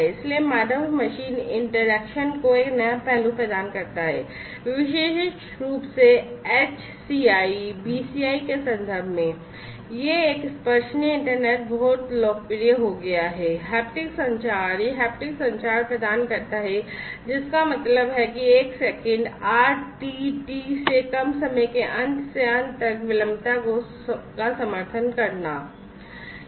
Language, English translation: Hindi, So, provides a new facet to human machine interaction, particularly in the context of HCI, BCI, etcetera this a tactile internet has become very popular, haptic communication it provides haptic communication enable meant supports low end to end latency of less than 1 millisecond RTT